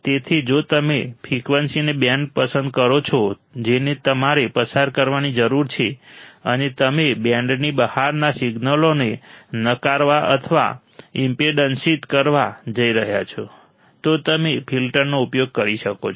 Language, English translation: Gujarati, So, if you select a band of frequency that you need to pass, and you are going to reject or block the signals outside the band, you can use the filters